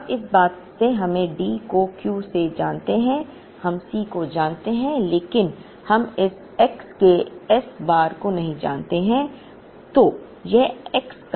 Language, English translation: Hindi, Now, in all this we know D by Q we know C s but, we do not know this S bar of x